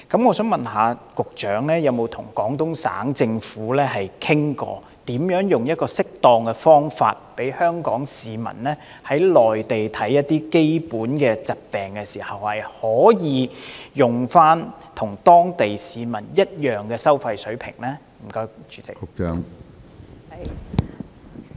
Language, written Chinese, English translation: Cantonese, 我想問局長曾否與廣東省政府商討適當的方法，讓香港市民在內地就基本疾病求醫時，可以使用與當地市民一樣的收費水平？, I wish to ask the Secretary the following has she ever discussed with the Guangdong Provincial Government on the appropriate means for Hong Kong citizens in the Mainland who need medical attention for general diseases to be eligible for paying the same fee level as that of the local citizens?